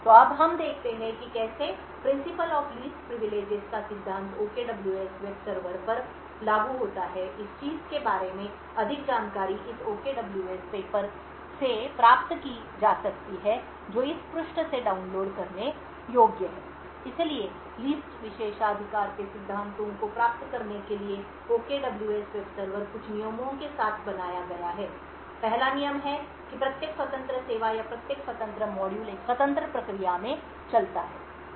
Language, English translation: Hindi, So now let us look at how the Principle of Least Privileges is applied to the OKWS web server, more details about this thing can be obtained from this OKWS paper which is downloadable from this page, so in order to achieve the Principle of Least Privileges, the OKWS web server is designed with certain rules, the first rule is that each independent service or each independent module runs in an independent process